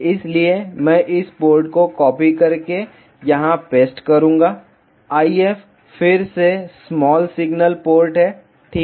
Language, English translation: Hindi, So, I will use just copied this port and paste here; IF is again small signal port ok